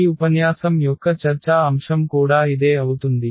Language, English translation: Telugu, So, that will be the also topic of discussion of this lecture